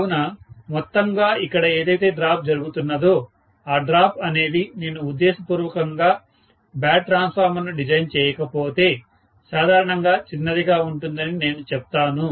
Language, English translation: Telugu, So, overall the drop that is taking place here, I would say the drop is generally small, unless I deliberately design a bad transformer which is generally not done